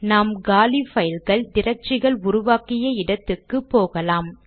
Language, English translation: Tamil, We will move to the directory where we have created empty files and folders